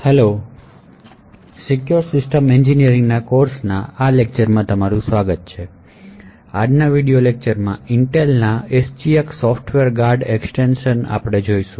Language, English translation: Gujarati, Hello and welcome to today’s lecture in the course for secure systems engineering so in today's video lecture will be looking at Intel’s SGX Software Guard Extensions